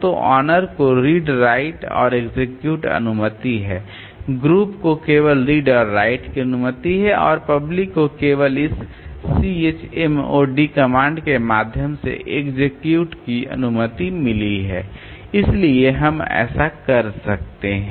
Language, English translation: Hindi, So, the owner has got read right execute permission, group has got only read and write permission and public has got only execute permission by means of this CH mode comment so we can do that